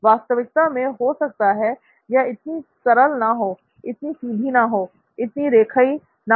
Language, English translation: Hindi, The reality may not be as simple as this, as straightforward as this, as linear as this